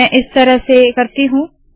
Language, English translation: Hindi, Let me do it as follows